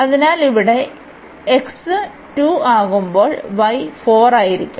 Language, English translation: Malayalam, So, here when x is 2 so, y will be 4